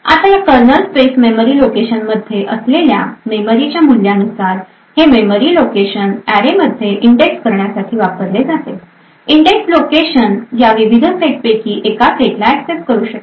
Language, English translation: Marathi, Now depending on the value of the memories present in this kernel space memory location since this memory location is used to index into the array the indexed location may access one of these multiple sets